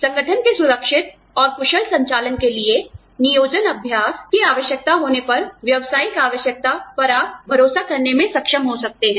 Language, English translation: Hindi, You may also be, able to bank on, business necessity, when the employment practice is necessary, for the safe and efficient operation, of the organization